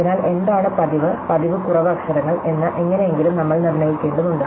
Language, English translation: Malayalam, So, somehow we have to determine, what are more frequent and less frequent letters